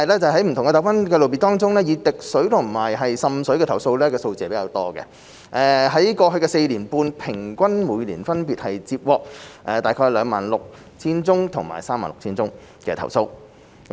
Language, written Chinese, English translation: Cantonese, 在不同糾紛類別中，以滴水和滲水的投訴數字居多，在過去4年半平均每年分別接獲約 26,000 宗和 36,000 宗投訴。, Among the different types of disputes water dripping and water seepage received the largest number of complaints with an average of about 26 000 and 36 000 complaints received per year respectively in the past four and a half years